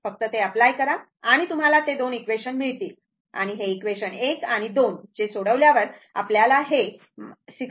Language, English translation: Marathi, Just apply to that you will get those 2 equation and this is your this thing solving equation 1 and 2, you will get minus 62